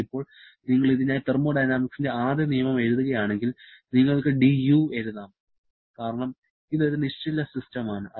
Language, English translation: Malayalam, So, now if you write the first law of thermodynamics for this, we can write dU because it is a stationary system